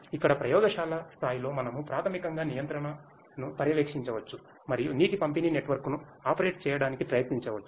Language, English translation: Telugu, Where, we can on a lab scale we can basically monitor control and try to operate a water distribution network